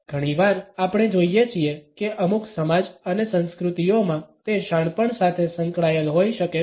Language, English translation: Gujarati, Often we find that in certain societies and cultures, it may be associated with wisdom